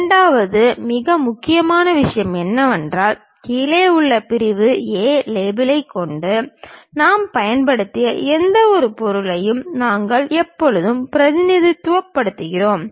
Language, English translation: Tamil, The second most thing is we always represent whatever the section we have employed with below section A A label we will show it